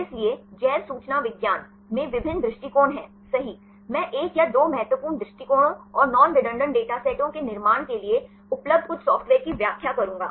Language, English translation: Hindi, So, in bioinformatics there are various approaches right, I will explain the one or two important approaches, and certain software available to construct non redundant data sets